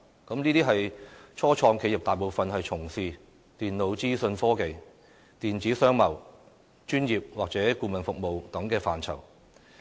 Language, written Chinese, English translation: Cantonese, 這些初創企業大部分從事電腦資訊科技、電子商貿、專業或顧問服務等範疇。, Employing more than 5 200 staff these start - ups mainly engage in computer and information technology e - commerce professional or consultancy services